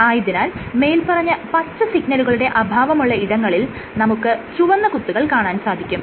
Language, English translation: Malayalam, So, where the green space is lacking the green signal is lacking you see that there are these red dots